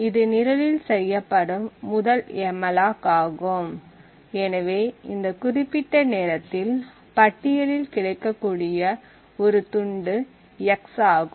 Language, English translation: Tamil, Since this is the first malloc that is done in the program therefore in this particular point in time the list has just one chunk that is available and that chunk is x